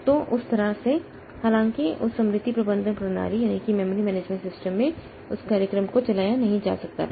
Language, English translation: Hindi, So, that way though that program could not be run in that memory memory management system